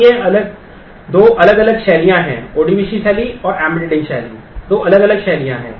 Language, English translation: Hindi, So, there are these are two different styles the ODBC style and the embedding style are two different styles